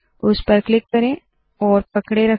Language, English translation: Hindi, Let us click and hold